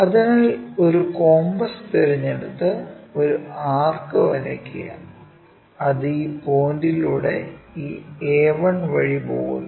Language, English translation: Malayalam, So, if we are picking this a 1 compass draw an arc, it goes via that point